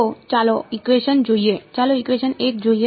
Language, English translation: Gujarati, So, let us look at equation let us look at equation 1 ok